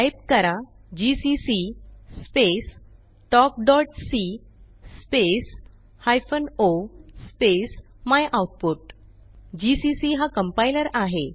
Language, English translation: Marathi, Type gcc space talk.c space hyphen o space myoutput gcc is the compiler talk.c is our filename